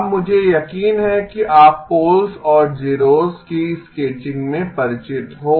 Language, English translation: Hindi, Now I am sure you are familiar in the sketching of poles and zeros